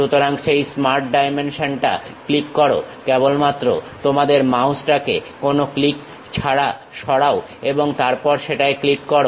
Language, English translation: Bengali, So, click that Smart Dimension click that, just move your mouse without any click then click that